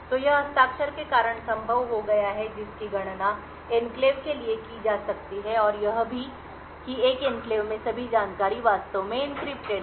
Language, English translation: Hindi, So, this is made a possible because of the signature’s which can be computed up for the enclave and also the fact the all the information in an enclave is actually encrypted